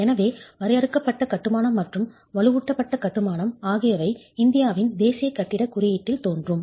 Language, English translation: Tamil, So confined masonry and reinforced masonry appear in the national building code of India